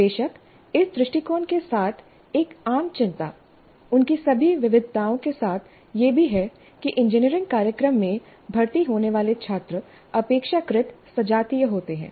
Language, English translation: Hindi, Of course, one common concern with this approach, with all its variations also, is that students admitted to an engineering program are relatively homogeneous